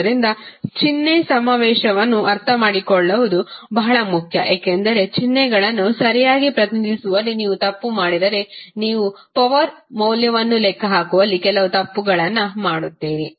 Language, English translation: Kannada, So, the sign convention is very important to understand because if you make a mistake in representing the signs properly you will do some mistake in calculating the value of power